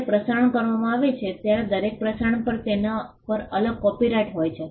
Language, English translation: Gujarati, When a broadcast is made every broadcast has a separate copyright vested on it